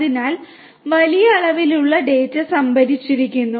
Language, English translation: Malayalam, So, huge volumes of data are stored